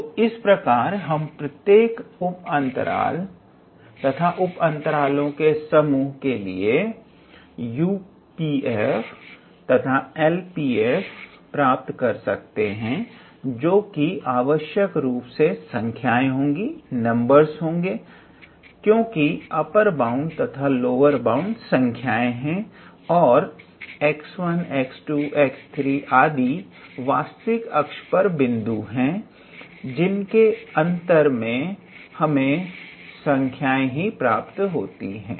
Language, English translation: Hindi, So, each partition and this in this family of partitions will determine these two numbers U p f and L p f, you can see that they are basically numbers because upper bound and lower bound are numbers and x 1 x 2 x 3 are points on real line